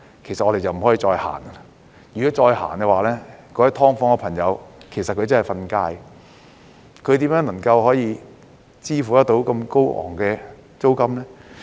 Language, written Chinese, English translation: Cantonese, 如果繼續實行，居於"劏房"的朋友便真的要"瞓街"，他們如何可支付這麼高昂的租金呢？, Otherwise those residing in SDUs would really become street sleepers . How are they supposed to pay such exorbitant rent?